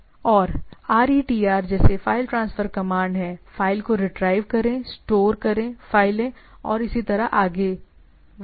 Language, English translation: Hindi, And there are file transfer command like RETR, retrieve files, STOR store files and so and so forth, right